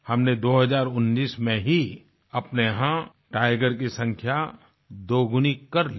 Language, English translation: Hindi, We doubled our tiger numbers in 2019 itself